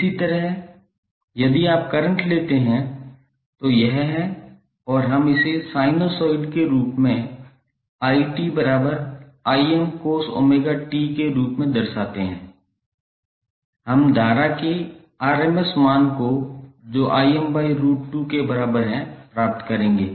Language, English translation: Hindi, Similarly if you take current that is it and we represent it in terms of sinusoid as Im cos omega t we will get the rms value of current that is Irms equal to Im by root 2